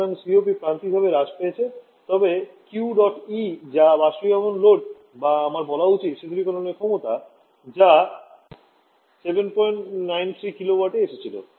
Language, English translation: Bengali, So COP has decrease marginally, but the Q dot E that is the evaporation load or I should say the cooling capacity that has also come to 7